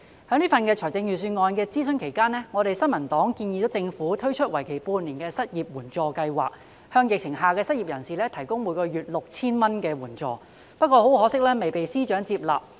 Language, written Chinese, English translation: Cantonese, 在這份財政預算案的諮詢期間，新民黨建議政府推出為期半年的失業援助計劃，向在疫情下的失業人士提供每月 6,000 元的援助，但很可惜未獲司長接納。, During the consultation period of this Budget the New Peoples Party suggested the Government to roll out a half - year unemployment assistance scheme to provide an assistance of 6,000 per month to people who lost their jobs amidst the pandemic . But regrettably this suggestion was not accepted by the Financial Secretary FS